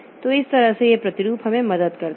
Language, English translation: Hindi, So, this way this modularity helps us